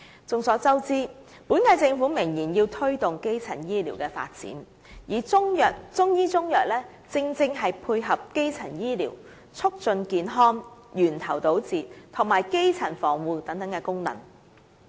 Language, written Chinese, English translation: Cantonese, 眾所周知，本屆政府明言要推動基層醫療的發展，而中醫中藥正好可配合基層醫療促進健康、源頭堵截及基層防護等功能。, As we all know it is the stated intention of this Government to promote the development of primary health care and Chinese medicine can dovetail with the functions of health promotion tackling problems at source and primary protection served by primary health care